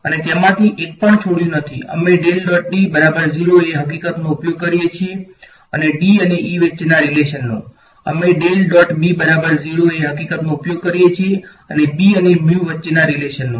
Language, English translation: Gujarati, We did not leave even one of them, we use the fact that divergence of D is 0 and the relation between D and E, we use the fact that del dot B is 0 and the relation between B and mu